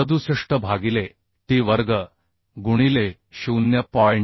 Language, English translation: Marathi, 67 by t square into 0